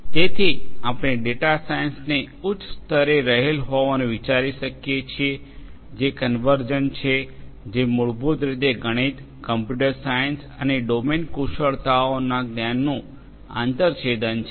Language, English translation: Gujarati, So, we can think of you know data science to be at a higher level which is convergent, which is basically an intersection of the disciplines of mathematics, computer science and also the knowledge from the domain the domain expertise